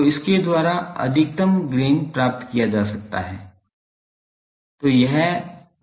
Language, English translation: Hindi, So, by that the maximum gain is obtained